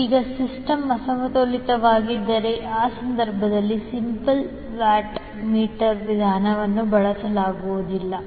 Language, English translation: Kannada, Now if the system is unbalanced, in that case the single watt meter method cannot be utilized